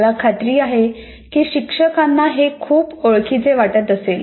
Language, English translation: Marathi, I'm sure that teachers find it very common